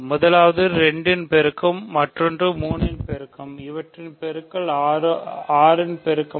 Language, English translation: Tamil, So that means, something is a multiple of 2, another thing is a multiple of 3, their product is a multiple of 6